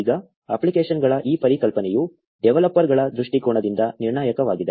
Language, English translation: Kannada, Now this concept of apps is crucial from the developers' perspective